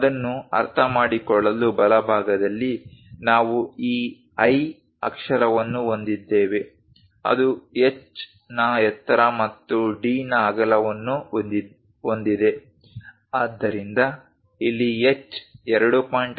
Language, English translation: Kannada, To understand that, in the right hand side, we have this I letter, which is having a height of h and a width of d , so here h is 2